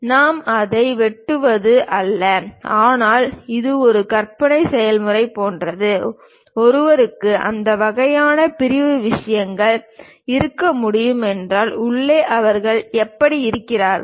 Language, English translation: Tamil, It is not that we slice it, but it is more like an imaginary process; if one can really have that kind of sectional thing, in inside pass how do they look like